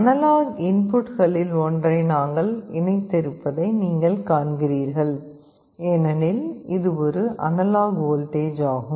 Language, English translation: Tamil, You see we have connected to one of the analog inputs, because it is an analog voltage